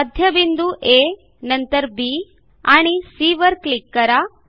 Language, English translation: Marathi, I click on A the centre, B and C